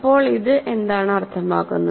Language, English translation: Malayalam, So, now what does this mean